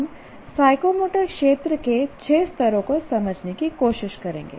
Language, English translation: Hindi, We will try to understand the six levels of psychomotor domain